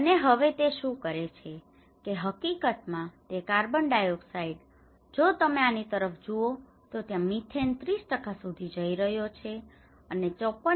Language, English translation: Gujarati, And now, what it is doing is, in fact this carbon dioxide, if you look at this, there is a methane going up to the 30% and 54